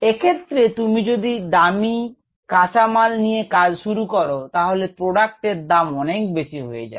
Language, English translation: Bengali, so if you start with an expensive raw material, expensive substrate, the product is going to turn out to be more expensive